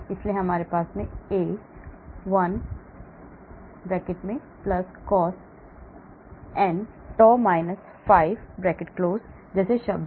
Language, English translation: Hindi, so we have terms like A 1 + cos n tau – phi